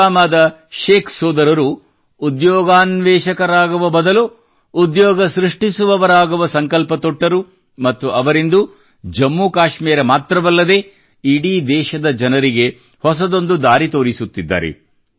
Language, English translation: Kannada, The Sheikh brothers of Pulwama took a pledge to become a job creator instead of a job seeker and today they are showing a new path not only to Jammu and Kashmir, but to the people across the country as well